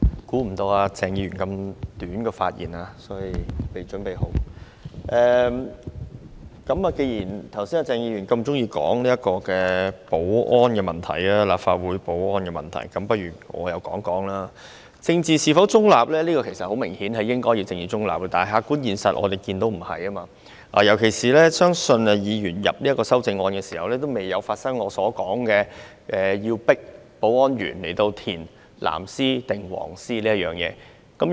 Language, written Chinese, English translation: Cantonese, 其實，答案很明顯，他們當然應要秉持政治中立，但我們所看到的客觀現實並非如此，尤其是......我相信有關議員在提出這項修正案時，仍未發生保安員被強迫填報自己是支持"藍絲帶"或"黃絲帶"一事。, The answer is indeed so obvious . Certainly they should remain politically neutral but this is not the perceived objective reality in particular I believe the incident in which a security assistant of the Secretariat was forced to declare whether she supported the blue ribbon or the yellow ribbon had not yet occurred by the time the our Honourable colleague proposed this amendment